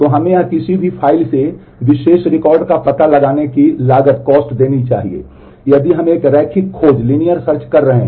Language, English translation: Hindi, So, this should give us the cost of the finding out the particular record from any file if we are doing a linear search if we are doing a linear scan